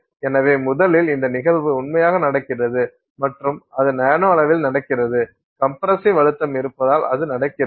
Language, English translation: Tamil, So, first of all that this phenomenon is true, it is happening and it is happening in the nanoscale and that it is happening due to the presence of compressive stresses